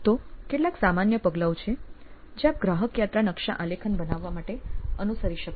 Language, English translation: Gujarati, So, there are a few generic steps that you can follow in constructing a customer journey map